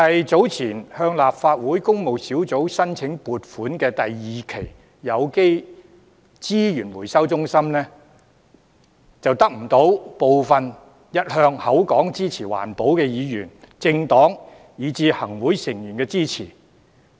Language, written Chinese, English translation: Cantonese, 早前提交立法會工務小組委員會審議的有機資源回收中心第二期撥款申請，便得不到部分一向聲稱支持環保的議員、政黨，以至行政會議成員支持。, Earlier when the funding application concerning the project of the Organic Resources Recovery Centre Phase 2 was submitted to the Public Works Subcommittee of the Legislative Council for consideration it failed to gain the support of certain Members political parties and Executive Council Members claiming to support environmental protection